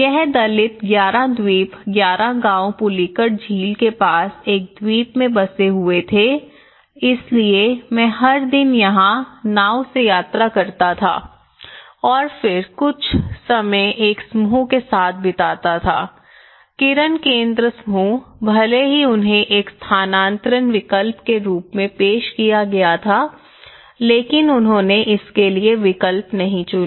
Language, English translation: Hindi, And it was Dalit 11 island 11 villages were settled in an island near the pullicat lake so I used to travel every day by boat from here to here and then I used to spend some time in a group, focus groups and things like that here, even though they were offered as a relocation option but they didnÃt opted for that